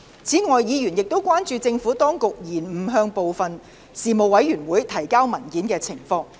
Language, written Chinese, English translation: Cantonese, 此外，議員亦關注政府當局延誤向部分事務委員會提交文件的情況。, Moreover Members have also expressed concerns about the Governments delay in submitting papers to some Panels